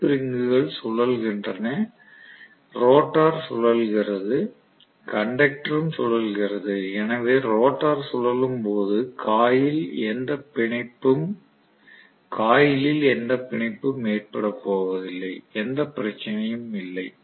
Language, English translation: Tamil, The slip rings rotate, the rotor rotates, the conductor also rotate so there is no intertwining of the coil when the rotor is rotating, there is no problem